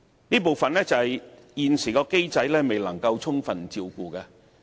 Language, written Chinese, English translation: Cantonese, 這部分是現行機制未能充分照顧的。, This scope of work has yet to be taken care of in the existing mechanism